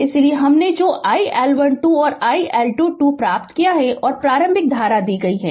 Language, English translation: Hindi, That is why that iL1 to and iL2 we have obtained and initial current is given right